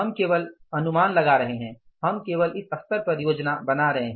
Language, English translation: Hindi, We are only anticipating, we are only planning at this level